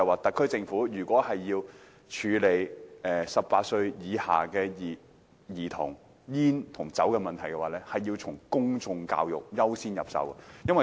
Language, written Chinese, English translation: Cantonese, 特區政府如果處理18歲以下的兒童吸煙和飲酒的問題，必須優先從公眾教育着手。, If the SAR Government wants to deal with the problem of smoking and drinking among children aged below 18 it must begin with public education as a matter of priority